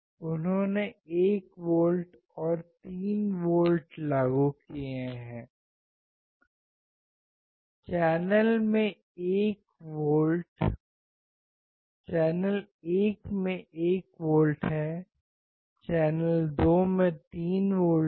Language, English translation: Hindi, He has applied 1 volts and 3 volts; channel 1 has 1 volt, channel 2 has 3 volts